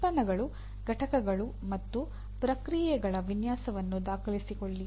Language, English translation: Kannada, Document the design of products, components, and processes